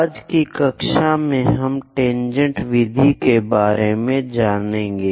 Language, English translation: Hindi, In today's class, we will learn about tangent method